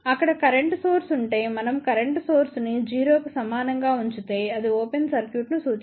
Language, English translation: Telugu, Had there been a current source, then we would have made current source equal to 0 that would imply open circuit